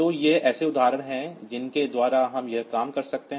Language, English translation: Hindi, So, these are examples by which we can do this thing